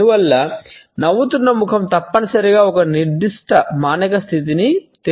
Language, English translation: Telugu, And therefore, I smiling face does not necessarily communicate a particular or a specific emotional state of mind